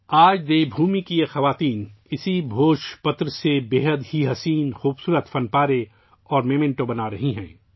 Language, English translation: Urdu, Today, these women of Devbhoomi are making very beautiful artefacts and souvenirs from the Bhojpatra